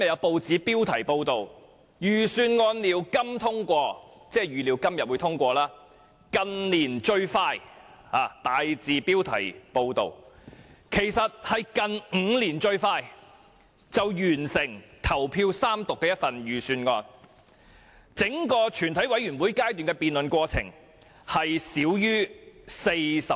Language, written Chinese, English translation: Cantonese, 報道又形容這份預算案為"近年最快"，其實就是近5年來最快完成投票三讀的預算案，整個全委會階段的辯論過程只耗費少於40小時。, They expect the Budget to be passed today in what they describe as the most efficient manner in recent years . Actually with the committee taking less than 40 hours to complete the entire debate process this Budget will be voted and third read in the shortest period of time in five years